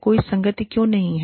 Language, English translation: Hindi, Why is there, no consistency